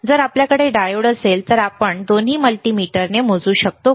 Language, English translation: Marathi, If we have a diode, can we measure with both the multimeters